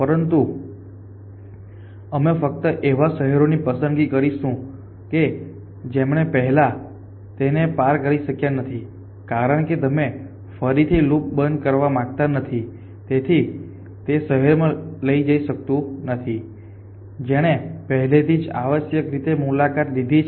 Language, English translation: Gujarati, But we will only choose those cities which first of all it has not already tour, because you do not wonder close the loop again so it cannot go to city which it has already tour essentially